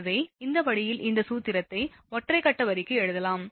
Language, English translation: Tamil, So, this way this formula can be written, for single phase line